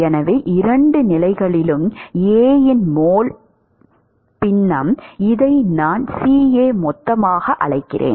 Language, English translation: Tamil, So, mole fraction of A in both of the phases, supposing I call this as C A bulk